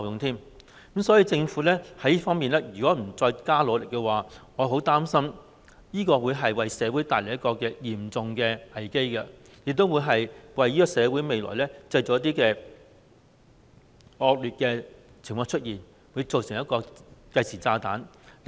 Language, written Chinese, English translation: Cantonese, 所以，如果政府在這方面不多加努力的話，我很擔心會為社會帶來一個嚴重的危機，亦會令社會在未來出現一些惡劣的情況，變成一個計時炸彈。, Therefore if the Government does not work harder in this respect I am worried that it will bring a serious crisis to the community . It will also cause some bad conditions in the future and become a time bomb